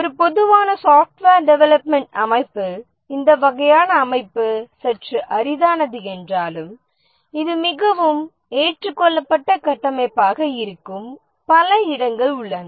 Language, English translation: Tamil, Even though in a typical software development organization this kind of setup is a bit rare but then there are many places where this is a very well accepted structure